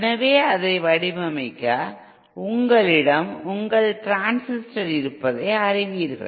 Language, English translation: Tamil, So to design it, you know you have your transistor